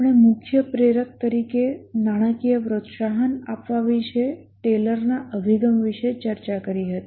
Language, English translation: Gujarati, We had discussed about the Taylor's approach about giving financial incentive as the major motivator